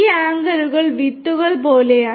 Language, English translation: Malayalam, These anchors are like the seeds